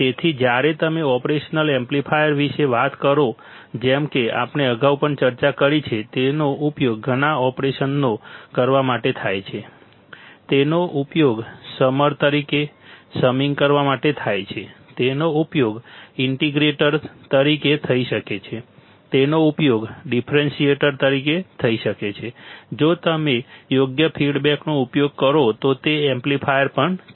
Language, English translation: Gujarati, So, when you talk about operational amplifier like we have discussed earlier also, it is used to perform several operations right; it is used to perform summing there is summer, it can be used to perform integrator, it can be used to perform differentiator right it is also amplifier if you use proper feedback